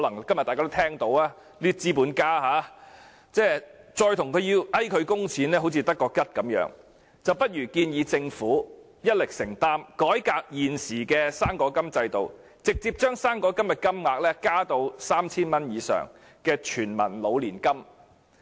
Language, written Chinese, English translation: Cantonese, 今天大家也聽到這些資本家的發言，再勸他們供款，亦只是徒然，不如建議政府一力承擔，改革現時的"生果金"制度，直接將"生果金"金額增加至 3,000 元以上，作為全民老年金。, Today we have also heard the speeches of these capitalists . It will just be futile to persuade them to make the contribution . We had better suggest that the Government fully shoulder the responsibility reform the existing system of the fruit grant and directly increase its rate to over 3,000 as the universal Demo - grant